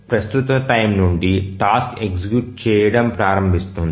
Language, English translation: Telugu, So, from the current time the task is started executing